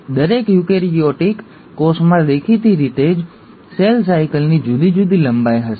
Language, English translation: Gujarati, Now each eukaryotic cell will have obviously different lengths of cell cycle